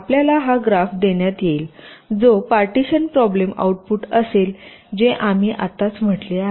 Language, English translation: Marathi, you will be given this graph, which will be the output of the partitioning problem